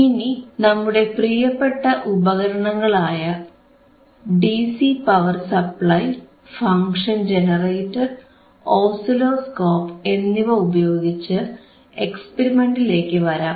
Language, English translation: Malayalam, Now, let us see using our favourite equipment, that is the DC regulated power supply in a regulated power supply, function generator and the oscilloscope